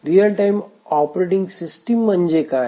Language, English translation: Marathi, What is a real time and what is a real time operating system